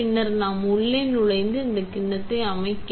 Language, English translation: Tamil, Then, we take the inlay set the bowl here